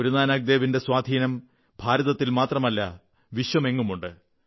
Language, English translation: Malayalam, The luminescence of Guru Nanak Dev ji's influence can be felt not only in India but around the world